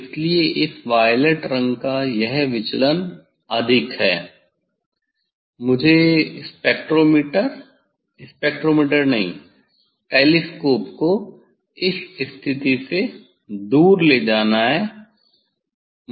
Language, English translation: Hindi, this deviation of this violet colour is more I have to take the spectrometers not spectrometer telescope away from this position